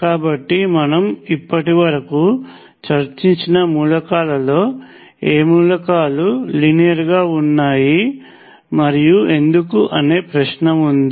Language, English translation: Telugu, So, the question is which of the elements is linear among the elements we have discussed so far and why